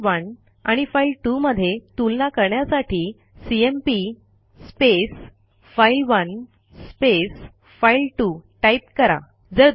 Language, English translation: Marathi, To compare file1 and file2 we would write cmp file1 file2